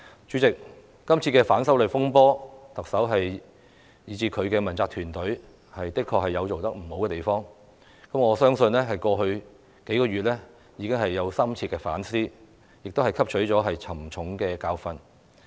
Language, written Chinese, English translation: Cantonese, 主席，在今次的反修例風波之中，特首及其問責團隊的確有做得不妥善之處，我相信她在過去數月已有深切反思，並已汲取沉重的教訓。, President indeed the Chief Executive and her accountability team did not handle the disturbances arising from the opposition to the proposed legislative amendments properly . I belive she has done some deep reflection on that and learnt a painful lesson in the past few months